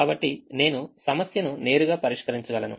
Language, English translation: Telugu, so i can solve the problem directly